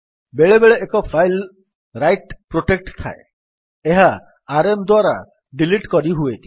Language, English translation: Odia, Sometimes a file is write protected, using rm will not delete the file then